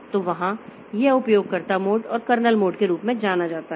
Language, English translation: Hindi, So, this way we have got two modes of operation, user mode and kernel mode